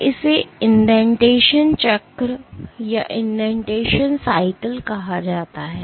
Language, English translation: Hindi, So, this is called the indentation cycle